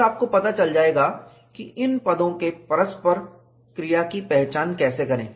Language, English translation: Hindi, Then, you will know, how to identify the interplay of these terms